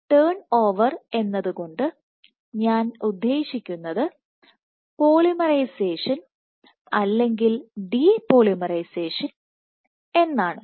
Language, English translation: Malayalam, By turn over I mean either polymerization or de polymerization